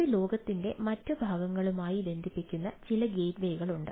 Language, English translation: Malayalam, there are ah, some ah gateway with which it connects to the rest of the world